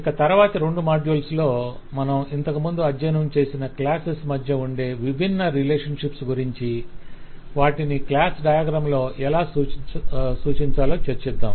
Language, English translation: Telugu, In the next module, actually in the next two modules we will talk about different relationship amongst classes that we had studied earlier, how to represent them in the class diagram